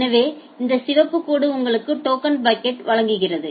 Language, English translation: Tamil, So, this red line gives you the token bucket